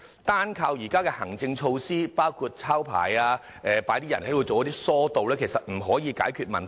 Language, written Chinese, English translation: Cantonese, 單靠現時的行政措施，包括"抄牌"和派人進行疏導其實不可以解決問題。, Existing administrative measures alone such as the issuing of traffic penalty tickets and the deployment of MTR staff to divert passengers cannot possibly solve the problem